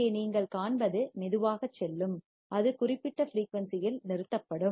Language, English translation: Tamil, And here what you will see it will go slowly and it will stop at certain frequency right